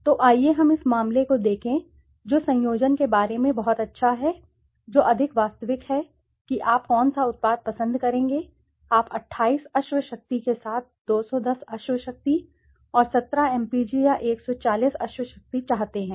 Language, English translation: Hindi, So, let us see this case, what is so good about conjoint, which more realistically which product will you prefer, you want a 210 horsepower and 17 mpg or 140 horsepower with 28 mpg